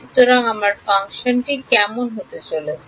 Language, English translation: Bengali, So, what is my function going to be like